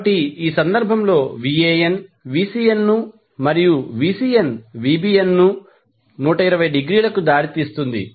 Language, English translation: Telugu, So, in this case Van leaves Vcn and Vcn leads Vbn by 120 degree